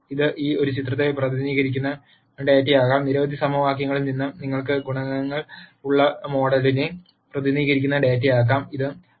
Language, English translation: Malayalam, It could be data which represents a picture; it could be data which is representing the model where you have the coe cients from several equations